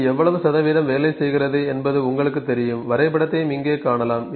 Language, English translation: Tamil, You know it is working for, you can see the graph as well here